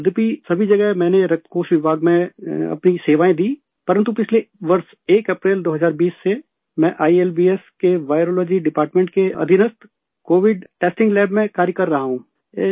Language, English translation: Urdu, Sir, although in all of these medical institutions I served in the blood bank department, but since 1st April, 2020 last year, I have been working in the Covid testing lab under the Virology department of ILBS